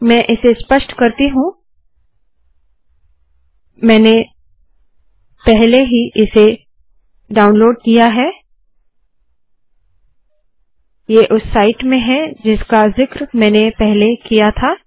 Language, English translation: Hindi, Ill just illustrate this, Ive already downloaded this, its in that site that I have mentioned earlier